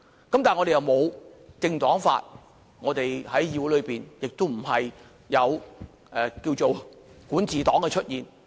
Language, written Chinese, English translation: Cantonese, 但是，我們並無"政黨法"，我們在議會內亦沒有"管治黨"的出現。, Nevertheless we have not enacted any political party law and we do not have a ruling party in the legislature